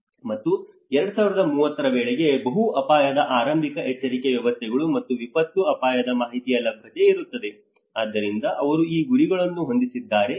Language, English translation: Kannada, And the increase and availability of access to multi hazard early warning systems and disaster risk information by 2030, so they have set up these targets